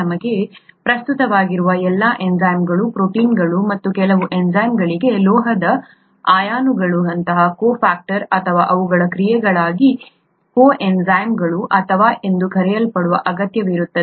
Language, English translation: Kannada, All enzymes of relevance to us are proteins and some enzymes require something called a cofactor, such as metal ions or what are called coenzymes for their action, okay